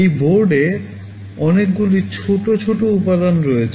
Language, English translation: Bengali, This board contains a lot of small components